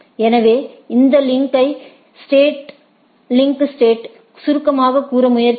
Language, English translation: Tamil, So, if we try to summarize this link states